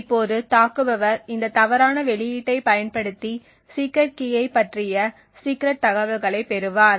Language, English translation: Tamil, Now the attacker would then use this incorrect output to gain secret information about the secret key